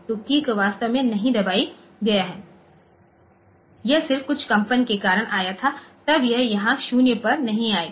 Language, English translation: Hindi, So, that the key is not actually placed so it was just due to some vibration it came and all that then you it will be it will not come to 0 here